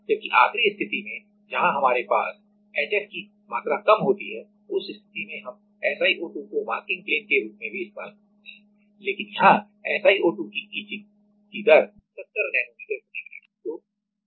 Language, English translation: Hindi, Whereas, in the last case where we have a lesser amount of HF in that case we can use SiO2 also as the masking plane, but here the etching rate is of SiO2 is 70 nanometer per minute